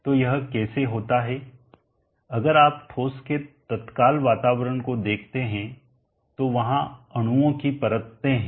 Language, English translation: Hindi, So how does this come about, if you see the immediate environment of the solid there are layers of molecules